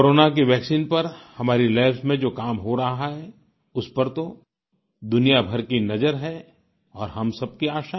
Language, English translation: Hindi, Work being done in our labs on Corona vaccine is being keenly observed by the world and we are hopeful too